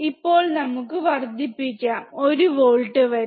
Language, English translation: Malayalam, Now, let us increase to 1 volts